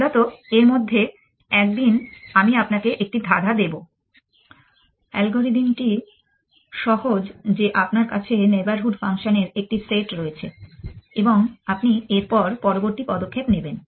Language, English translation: Bengali, Essentially, may be one of these days I will give you one of the puzzles the algorithm is simple that you have access to a set up neighborhood functions and you do the following